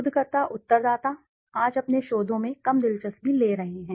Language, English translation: Hindi, Researchers, the respondents have become less interested in your researches today